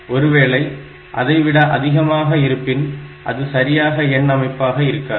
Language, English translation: Tamil, So, that is not possible then it is not a valid number system